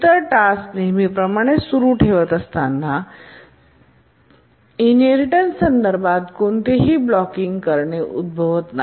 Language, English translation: Marathi, The other tasks continue to execute as usual, no inheritance related blocking occurs